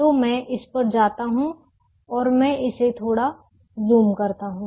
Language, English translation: Hindi, so let me go to this try and let me also zoom it little bit